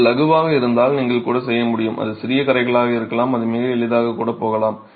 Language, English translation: Tamil, If it is light you might be able to even, it may be small stains, it can even go away quite easily